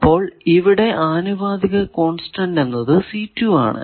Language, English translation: Malayalam, So, that proportionality constant let us say c1